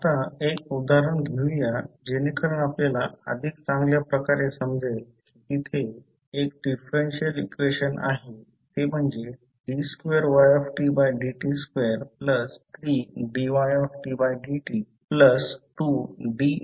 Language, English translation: Marathi, Now, let us take one example so that you can better understand let us see there is one differential equation that is d2y by dt2 plus 3 dy by dt plus 2y equal to r